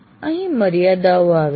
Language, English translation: Gujarati, And this is where the limitations come